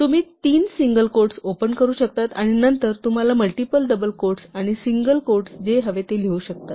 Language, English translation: Marathi, So, you can open three single quotes, and then you can write whatever you want with multiple double quotes and single quotes